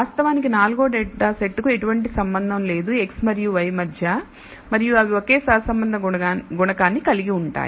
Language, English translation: Telugu, In fact, the fourth data set has no relationship between x and y and it turns out to be they have the same correlation coefficient